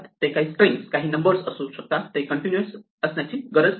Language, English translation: Marathi, They could some could be string, some could be numbers, they need not be continuous that is all